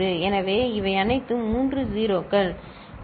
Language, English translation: Tamil, So, these are all three 0s ok